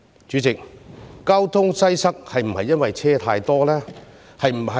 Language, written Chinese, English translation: Cantonese, 主席，交通擠塞是否因為車輛太多？, President is the traffic congestion caused by too many vehicles?